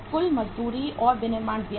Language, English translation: Hindi, Total wages and manufacturing expenses